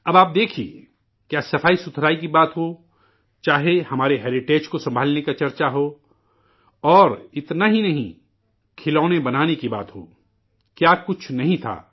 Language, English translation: Urdu, You see, whether it's about sanitation or a discussion on conserving our heritage; and not just that, reference to making toys, what is it that was not there